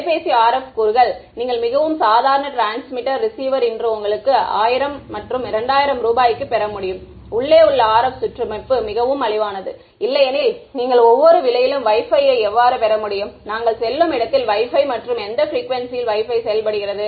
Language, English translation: Tamil, The most ordinary phone you can get for 1000 2000 rupees that tells you that the RF components: the transmitter, receiver and the RF circuitry inside is cheap otherwise how could you get at that price Wi Fi every place we go to has a Wi Fi right and Wi Fi works at what frequency